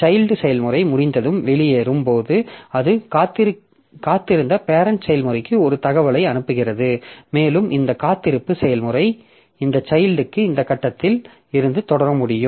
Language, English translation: Tamil, So, when the child process executes this exit on completion, then it sends an information to the parent process which was waiting and this weight process this child can, this parent can continue from this point